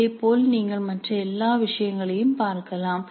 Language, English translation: Tamil, Similarly you can look into all the other things